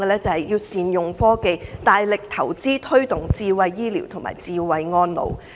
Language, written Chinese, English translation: Cantonese, 政府應該大力投資、推動智慧醫療和智慧安老。, The Government should vigorously invest in and promote smart healthcare and smart elderly care